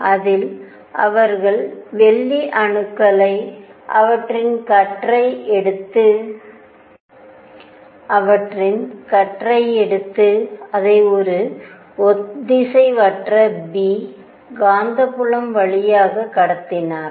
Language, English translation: Tamil, In which they took silver atoms, their beam and they passed it through an inhomogeneous B, inhomogeneous magnetic field